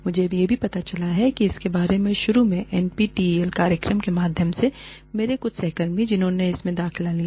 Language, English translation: Hindi, I also came to know, about this initially, the NPTEL program, through some of my colleagues, who enrolled in it